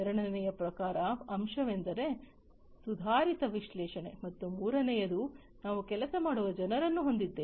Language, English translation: Kannada, The second key element is advanced analytics, and the third one is we have people at work